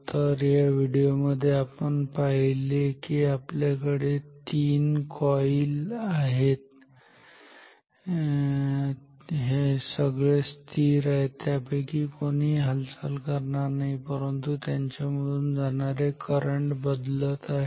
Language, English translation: Marathi, So, in this video what we see that, we have 3 coils all are stationary none of them are moving ok, these coils are not moving, but the current in them they are changing